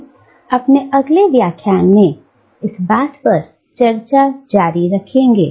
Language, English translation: Hindi, We will continue this discussion in our next lecture